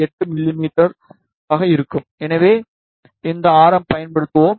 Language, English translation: Tamil, 8 mm respectively, so we will be using these radius